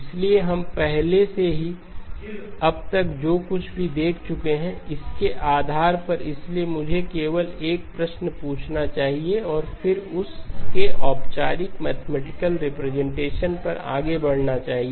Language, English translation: Hindi, So based on what we have already observed so far okay, so let me just ask a question and then move on to the formal mathematical representation of that